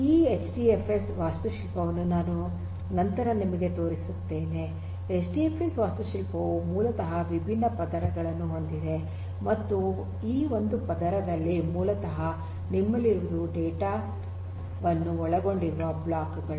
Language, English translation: Kannada, This HDFS architecture as I will show you later on, HDFS architecture basically has different layers and in one of these layers basically what you have are something known as the blocks which actually contains the data